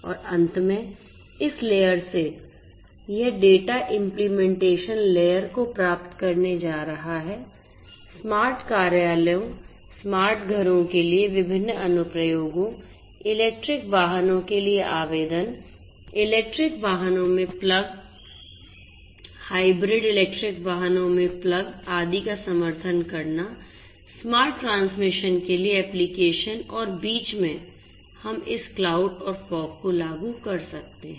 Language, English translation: Hindi, And finally, this data from this layer is going to get to the application layer; application layer, supporting different applications for smart offices, smart homes, applications for electric vehicles, plug in electric vehicles, plug in hybrid electric vehicles, etcetera, applications for smart transmission and so on and in between we can have this cloud and fog implementations